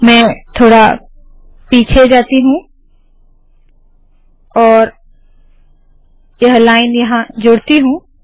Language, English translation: Hindi, So let me just go back and say let me add this line here